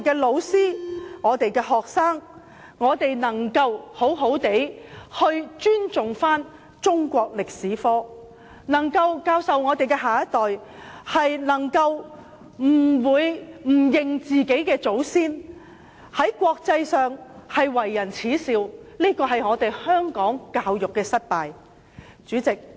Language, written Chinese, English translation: Cantonese, 老師和學生應好好尊重中史科，我們的下一代不能不承認自己的祖先，否則便會受到國際社會所耻笑，反映香港教育制度的失敗。, Our next generation must recognize our own ancestors . Otherwise we will become the laughing stock of the international community . This will also reflect the failure of Hong Kongs education system